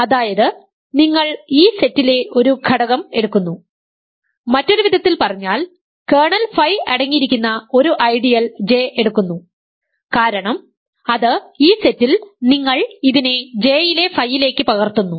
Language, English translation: Malayalam, So, you take an element in this set in other words, you take an ideal J that by definition contains kernel phi, because it is in this set you map it to phi of J ok